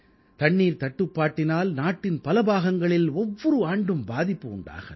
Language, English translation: Tamil, Water scarcity affects many parts of the country every year